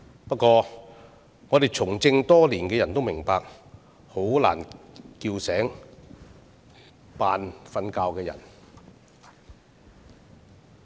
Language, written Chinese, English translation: Cantonese, 不過，我們從政多年的人也明白，要喚醒裝睡的人很難。, However those of us who have been in politics for many years also understand that it is very difficult to awaken someone who pretends to be asleep